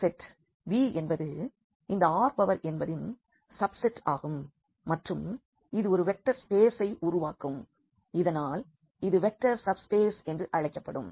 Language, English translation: Tamil, Note that this V the set V is a subset of is a subset of this R n and forms a vector space and therefore, this is called also vector subspace